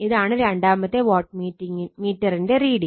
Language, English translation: Malayalam, So, this is the reading of the second wattmeter right